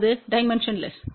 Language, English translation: Tamil, It was dimensionless